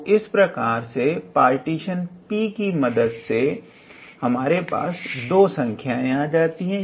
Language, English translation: Hindi, So, ultimately we are obtaining two numbers with the help of this partition P alright